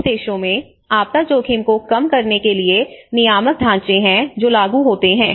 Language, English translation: Hindi, In the richer countries, they have the regulatory frameworks to minimise the disaster risk which are enforced